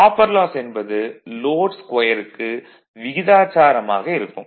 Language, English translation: Tamil, Copper loss copper loss is proportional to the square of the load